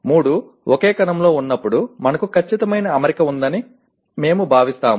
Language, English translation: Telugu, When all the three are together in the same cell, we consider we have a perfect alignment